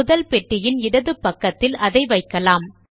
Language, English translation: Tamil, We will place it to the left of the first box